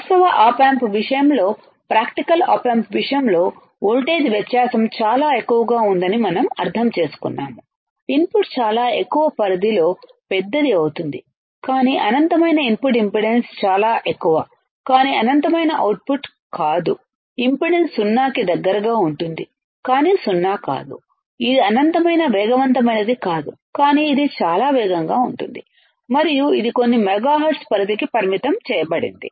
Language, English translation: Telugu, But in case of actual op amp, in case of practical op amp, what we understand is the voltage difference is very high the input is magnified at a very high range, but not infinite input impedance is extremely high, but not infinite output impedance is close to zero, but not zero, the it is not infinitely fast, but it is extremely fast, and it has it is limited to few megahertz range right